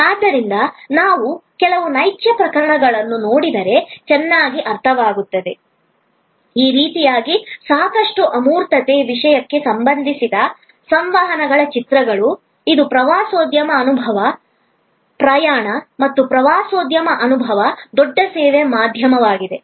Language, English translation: Kannada, So, it is be well understood if we look at some actual cases, like these are images from communications relating to a quite an intangible thing, which is a tourism experience, travel and tourism experience, a big service industry